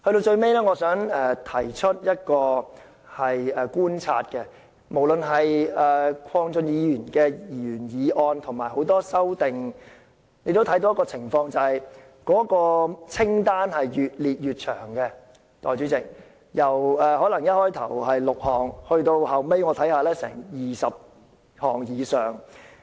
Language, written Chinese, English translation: Cantonese, 最後，我想提出一個觀察，鄺俊宇議員的原議案和很多修正案所建議的措施越列越長，代理主席，由原議案的6項措施增加到20項以上。, Finally I would like to make an observation . The proposed measures listed in the original motion of Mr KWONG Chun - yu and in other amendments have become longer and longer . Deputy President the number of measures has been increased from six in the original motion to more than 20